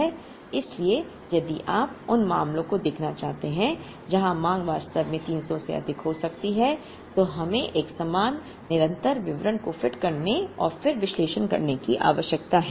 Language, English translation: Hindi, So, if you want to look at the cases where the demand can actually exceed 300, then we need to fit a corresponding continuous distribution and then do the analysis